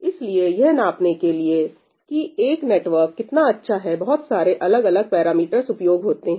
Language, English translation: Hindi, So, there are different parameters that are used to gauge how good a network is, right